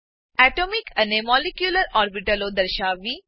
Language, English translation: Gujarati, Display Atomic and Molecular orbitals